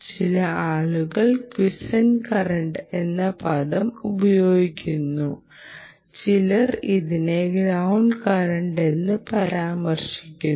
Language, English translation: Malayalam, so some people use ah quiescent current and some people talk about ground current